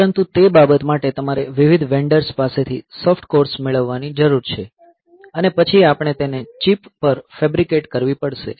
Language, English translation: Gujarati, But, for that matter you need to get the soft cores from different vendors and then we have to fabricate them on to the chip